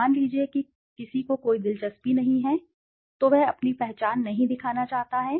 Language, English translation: Hindi, Suppose somebody is not interested, he doesn t want to show his identity